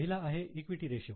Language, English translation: Marathi, The first one is equity ratio